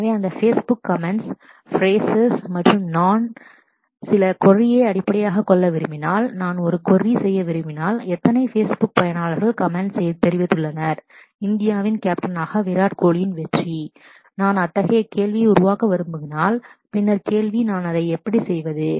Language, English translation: Tamil, So, those Facebook comments are phrases and if I want to make certain query based on that, if I want to make a query that, how many Facebook users has commented on the success of Virat Kohli as a captain of India if I want to make such a query, then the question is how do I do that